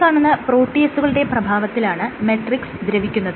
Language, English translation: Malayalam, Actually these are proteases which degrade the matrix